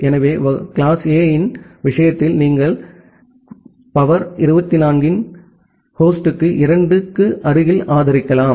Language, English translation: Tamil, So, in case of class A you can support close to 2 to the power 24 number of host